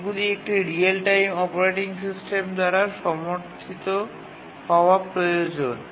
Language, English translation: Bengali, These need to be supported by real time operating system because I